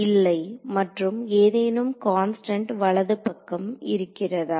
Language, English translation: Tamil, No, and did I have a constant term on the right hand side